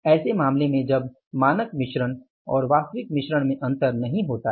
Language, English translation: Hindi, What is differing here that is the standard mix and actual mix